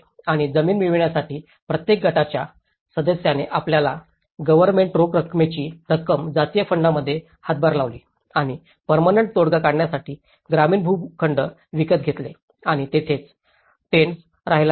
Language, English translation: Marathi, And in order to obtain the land, each group member contributed its government cash handouts into a communal fund and bought rural plots of land for permanent settlement and moved there with their tents